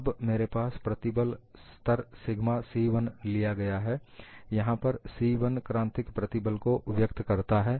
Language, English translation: Hindi, Now, I have the stress level as, taken as, sigma c1; the c denotes it is a critical stress